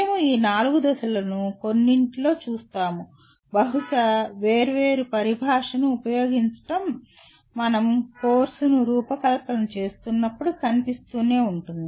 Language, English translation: Telugu, We will see these 4 stages in some maybe using different terminology will keep appearing when we are designing actually the course